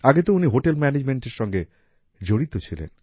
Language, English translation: Bengali, Earlier he was associated with the profession of Hotel Management